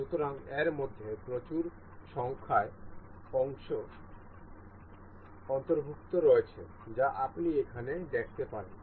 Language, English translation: Bengali, So, the there are a huge number of parts included in this you can see here